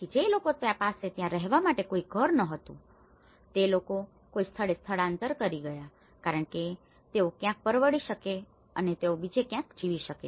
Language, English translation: Gujarati, So, people who were not having any house to live there, so when these people have migrated to a different place because they could able to afford somewhere and they could able to live somewhere else